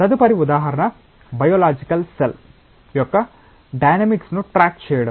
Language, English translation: Telugu, Next example is to track the dynamics of a biological cell